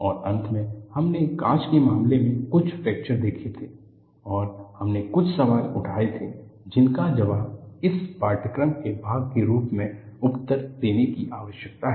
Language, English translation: Hindi, And finally, we had seen some fractures in the case of glass and we raised certain questions that need to be answered as part of this course